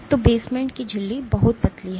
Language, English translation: Hindi, So, the basement membrane is very thin